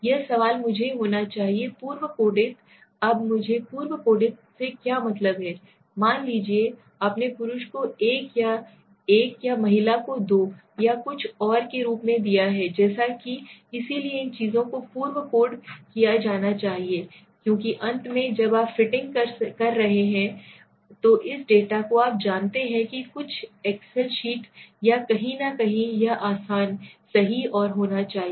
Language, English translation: Hindi, This question I should be pre coded now what do I mean by pre coded means suppose you have given male as 1 or female as 2 or something so these things should be pre coded because at the end when you are fitting in this data to the you know some excel sheet or somewhere it should be easy, right and to understand and put it somewhere